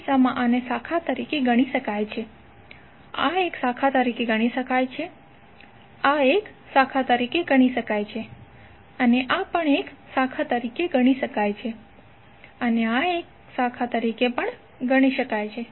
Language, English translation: Gujarati, So in this case this can be consider as branch, this can be consider as a branch, this can be consider as a branch this can also be consider as a branch and this can also be consider as a branch